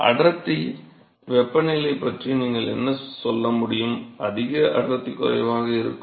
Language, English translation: Tamil, So, what can you say about the density temperature is higher density will be lower right